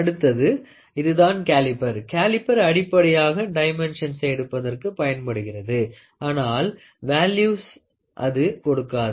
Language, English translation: Tamil, The next one is a caliper, a caliper is basically to take the dimensions but it will not give you the values